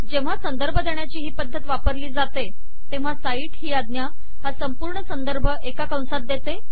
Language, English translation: Marathi, When this referencing style is used, the cite command puts the entire reference within the brackets